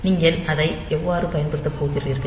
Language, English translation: Tamil, So, how are you going to use it